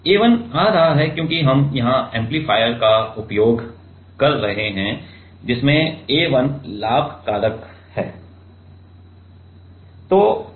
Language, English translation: Hindi, A 1 is coming because we are using here and amplifier which has a gain factor of A 1